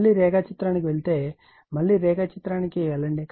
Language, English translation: Telugu, if you go to the diagram again , if, you go to the diagram again